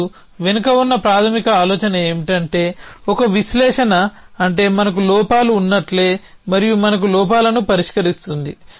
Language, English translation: Telugu, And the basic idea behind means an analysis is that just like we have flaws and we have resolvers of flaws